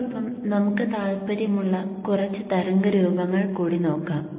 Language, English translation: Malayalam, Okay now with this let us see a few more waveforms of interest to us